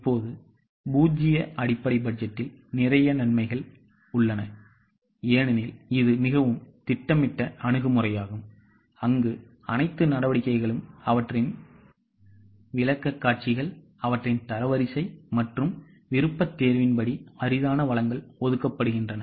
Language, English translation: Tamil, Now, there are a lot of advantages of zero based budget because this is a very systematic approach where all the activities make their presentations, they are ranked, and as per the order of preference, scarce resources are allocated